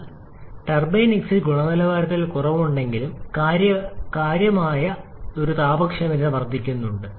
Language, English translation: Malayalam, So, though there is a reduction in the turbine exit quality there is a significant increase in the thermal efficiency